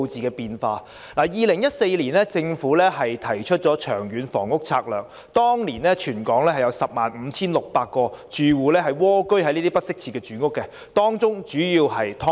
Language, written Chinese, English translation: Cantonese, 政府2014年提出了《長遠房屋策略》，當年全港有 105,600 個住戶蝸居於這些不適切住房，主要是"劏房"。, The Government announced its Long Term Housing Strategy LTHS in 2014 . There were then 105 600 households living in inadequate housing conditions in the whole of Hong Kong . These were mostly subdivided units